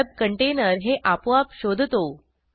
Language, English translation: Marathi, The web container automatically detects it